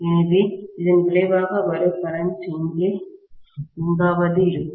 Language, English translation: Tamil, So the resultant current what I get will be somewhere here